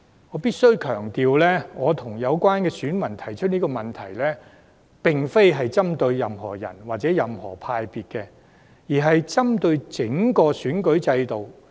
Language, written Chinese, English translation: Cantonese, 我必須強調，我與有關選民提出這個問題，並非針對個別候選人或黨派，而是針對整個選舉制度。, I must reiterate that the electors and I raised this question not to direct against certain candidates or political parties or groupings but to direct against the entire electoral system